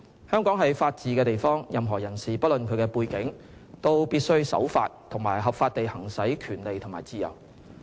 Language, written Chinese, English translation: Cantonese, 香港是法治之地，任何人士不論其背景，都必須守法及合法地行使權利和自由。, Hong Kong is a place under the rule of law where any person irrespective of his or her background must abide by the law and exercise his or her rights and freedoms legally